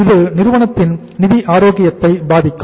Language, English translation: Tamil, It will affect the financial health of the company